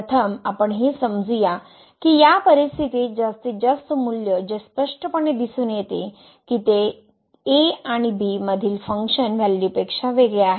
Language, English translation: Marathi, The first one let us assume that the maximum value in this situation here which is clearly can be observed that it is different than the function value at and